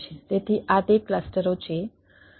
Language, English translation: Gujarati, so these are the clusters which are there